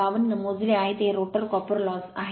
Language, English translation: Marathi, 52, this is my rotor copper loss right